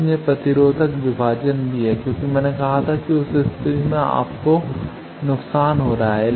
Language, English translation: Hindi, So, also there is resistive divider as I said that in that case you are suffering loss